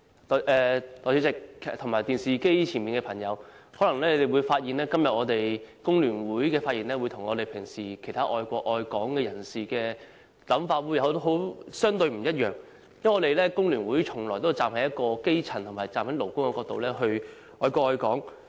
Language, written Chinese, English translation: Cantonese, 代理主席、電視機前的朋友，大家可能發現香港工會聯合會今天的發言，跟其他愛國愛港人士平時的想法相對不同，因為工聯會從來也是站在基層和勞工的角度愛國愛港。, Deputy President and people watching the television all of you may find the remarks made by the Hong Kong Federation of Trade Unions FTU relatively different from the opinions normally expressed by people who love the country and Hong Kong for FTU always loves the country and Hong Kong from the perspective of grass roots and workers